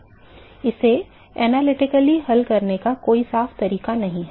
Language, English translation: Hindi, There is no clean way to solve it analytically